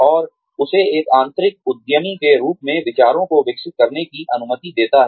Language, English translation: Hindi, And, lets him or her, develop ideas, as an internal entrepreneur